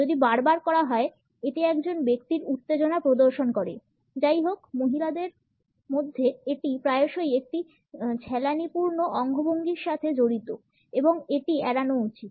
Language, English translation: Bengali, If it is repeatedly done; it showcases the tension of a person; however, in women it is often associated with a flirtatious gesture and it should be avoided